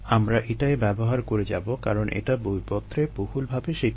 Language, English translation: Bengali, we will continue using that because its widely accepted that the literature